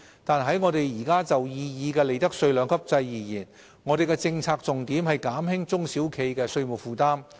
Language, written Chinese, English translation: Cantonese, 但是，我們現時就擬議的利得稅兩級制而言，我們的政策重點是減輕中小企的稅務負擔。, However for our proposed two - tiered profits tax rates regime our policy priority is to reduce the tax burden on SMEs